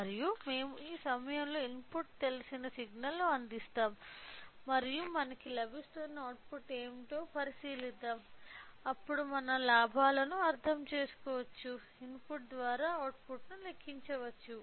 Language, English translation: Telugu, And, we will provide an input known signal at this point and will observe what is a output we are getting, then we can we will calculate output by input in order to understand the gain let us see the connections